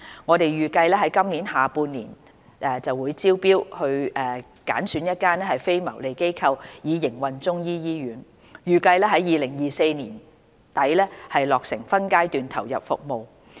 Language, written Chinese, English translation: Cantonese, 我們預計於今年下半年招標揀選一間非牟利機構以營運中醫醫院，預計於2024年年底落成分階段投入服務。, We expect to conduct a tender exercise in the second half of the year to identify a non - profit - making organization to operate the hospital which is targeted to commence operation in phases in late 2024